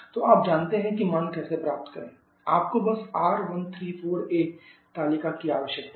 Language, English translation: Hindi, So you know how to get the value you just need the R1 for the table